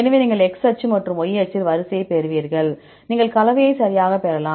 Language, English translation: Tamil, So, you get the sequence in the X axis and Y axis, you can get the composition right